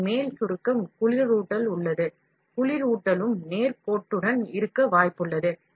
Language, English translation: Tamil, On top of it, shrinkage is cooling is also there, the cooling is also very likely to be nonlinear